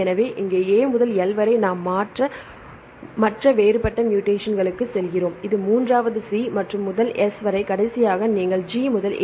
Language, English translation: Tamil, So, here A to L and then we go to the other different mutations the third one that is C to S right from here C to S and the last one you can see G to A, here G to A